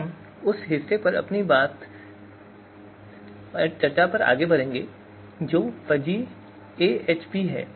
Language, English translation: Hindi, So we will move to our discussion on that part, that is you know Fuzzy AHP